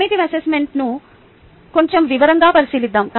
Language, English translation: Telugu, lets look into formative assessment into bit more detail